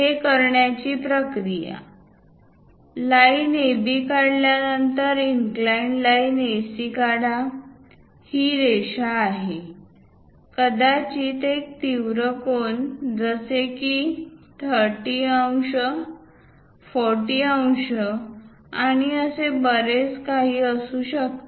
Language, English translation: Marathi, To do that, the procedure is after drawing line AB, draw a inclined line AC; this is the line, perhaps an acute angle like 30 degrees, 40 degrees, and so on to AB